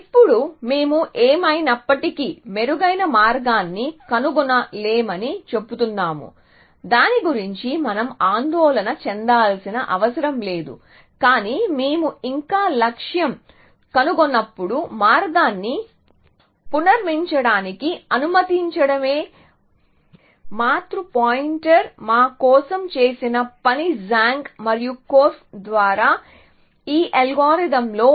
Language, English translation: Telugu, Now, we are saying we will never find a better path anyway, so we do not need to worry about that, but we still and the function that the parent pointer did for us was to allow us to reconstruct the path when we found the goal now in this algorithm by Zhang and Korf